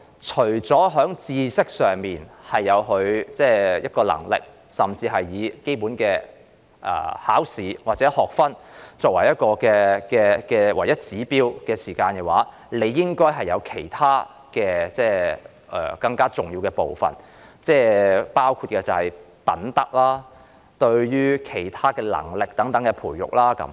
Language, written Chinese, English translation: Cantonese, 除了知識上的能力或以基本的考試或學分作為唯一指標外，還有其他更重要的部分，包括品德及其他能力的培育。, In addition to having the ability to acquire knowledge or using basic examinations or credit units as the only indicator there are other more important components including the cultivation of morality and other abilities